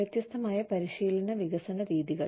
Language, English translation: Malayalam, A different training and development methods